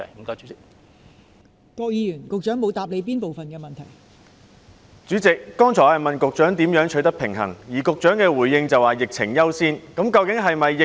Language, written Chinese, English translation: Cantonese, 代理主席，我剛才詢問局長如何在兩者之間取得平衡，局長的回應則是以疫情管控為優先。, Deputy President I asked the Secretary earlier what could be done to strike a balance but he replied that priority should be given to the prevention and control of the epidemic